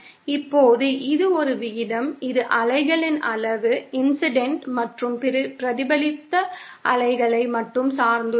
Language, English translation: Tamil, Now this is a ratio that depends only on the magnitude of the waves, of the incident and reflected waves